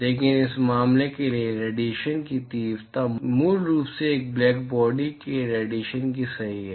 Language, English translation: Hindi, But for this case, the intensity of radiation is basically that of a black body radiation right